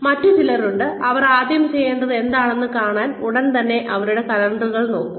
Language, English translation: Malayalam, There are others, who will come in, and immediately open their calendars, to see what they need to do first